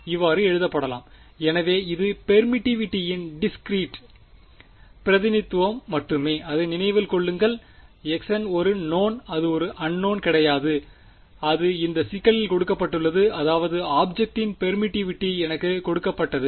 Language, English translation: Tamil, So, this is just a discrete representation of permittivity just remember that x n is known it is not unknown its given to me in the problem the permittivity of the object is given to me ok